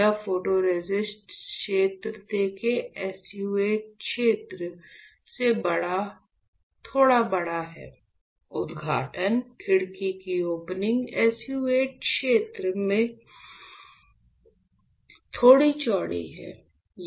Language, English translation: Hindi, So, this photoresist, you see the area is a little bit bigger than the SU 8 area ok; the opening, the window opening is slightly wider than the SU 8 area